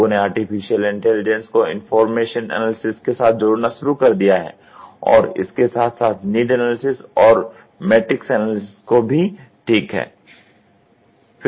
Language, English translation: Hindi, People have started integrating artificial intelligence into information analysis and this is for need analysis and matrix analysis, ok